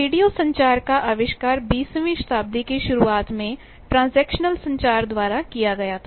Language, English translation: Hindi, There were radios; radio communication was invented just at the start of the twentieth century by transactional communication